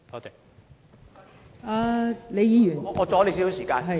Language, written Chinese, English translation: Cantonese, 代理主席，我要阻你少許時間。, Deputy President may I take up a little of your time